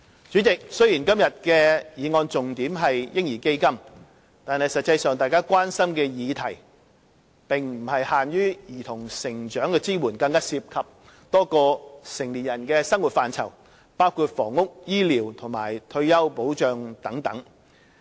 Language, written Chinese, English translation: Cantonese, 主席，雖說今天的議案重點是"嬰兒基金"，但實際上大家關心的議題並不限於對兒童成長的支援，更涉及多個成年人的生活範疇，包括房屋、醫療及退休保障等。, President although the key point of this motion today is baby fund the issues of concern to Members are actually not confined to support for the growth of children . What is more a number of areas relating to the living of adults are also involved including housing healthcare retirement protection and so on